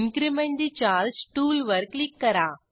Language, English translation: Marathi, Click on Increment the charge tool